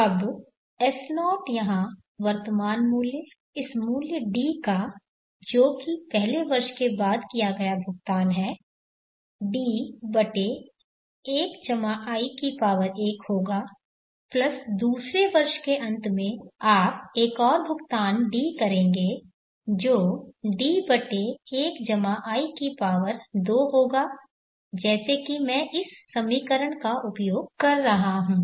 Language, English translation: Hindi, Now S0 the present worth here of this value D which has been a payment that is made out of the first year would be B/+1+I1 plus at the end of the second year you make another payment D which is 1 the present worth here would be T/1+I2 as I am using this equation